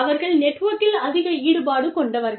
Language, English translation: Tamil, So, they are highly involved, within the network